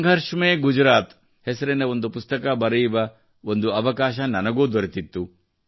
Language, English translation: Kannada, I had also got the opportunity to write a book named 'Sangharsh Mein Gujarat' at that time